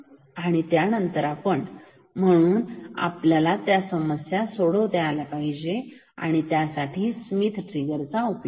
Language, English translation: Marathi, And, then we said we can solve this problem using a Schmitt trigger